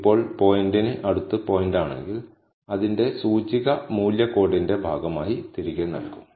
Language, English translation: Malayalam, Now, if the point is close enough to the pointer, its index will be returned as a part of the value code